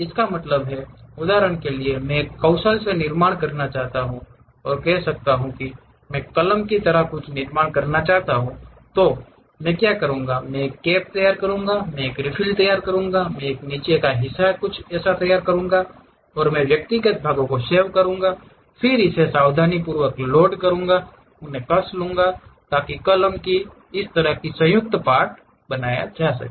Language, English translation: Hindi, That means, for example, I want to construct a by skill, maybe I want to construct something like a pen, what I will do is I will prepare a cap, I will prepare a refill, I will prepare something like bottom portion, save individual parts, then carefully load it, tighten them, so that a combined part like a pen can be made